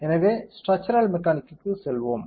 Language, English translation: Tamil, So, let us go to structural mechanics